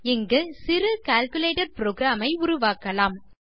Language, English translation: Tamil, Here, Ill show you how to create a little calculator program